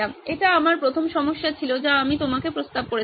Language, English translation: Bengali, This is my first problem that I proposed to you